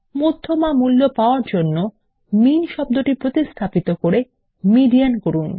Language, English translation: Bengali, To find the median value, replace the term MIN with MEDIAN